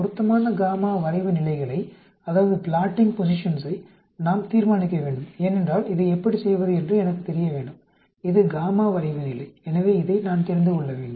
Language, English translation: Tamil, We need to determine the appropriate y plotting positions, because I need to know how to do this, this is the y plotting position, so I need to know this